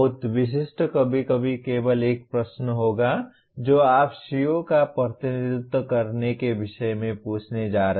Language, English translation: Hindi, Too specific sometimes will turn out to be a simply one question that you are going to ask in the topic representing the CO